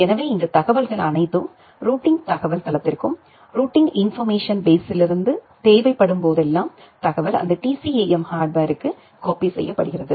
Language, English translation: Tamil, So, all this information they feed the routing information base and from the routing information base whenever required, the information is copied to that TCAM hardware in the forwarding information base